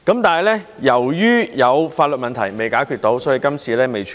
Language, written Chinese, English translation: Cantonese, 但是，由於有法律問題未能解決，所以今次未能處理。, Nevertheless we cannot deal with the issue this time as there are legal issues to be resolved